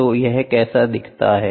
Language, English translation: Hindi, So, this is how it looks like